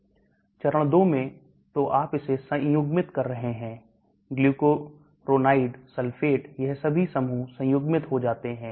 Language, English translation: Hindi, In phase 2 so you are conjugating it glucuronide, sulfate all these groups get conjugated